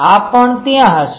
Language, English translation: Gujarati, This also will there